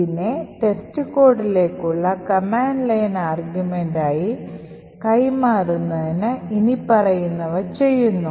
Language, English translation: Malayalam, Now in order to pass this as the command line argument to test code we do the following we run test code as follows